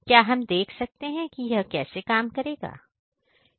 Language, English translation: Hindi, Can we see how it works